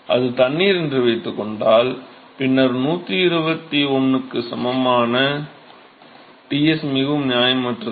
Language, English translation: Tamil, Suppose it is water, then Ts of all equal to 121 is quite unreasonable